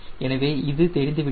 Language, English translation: Tamil, this things we know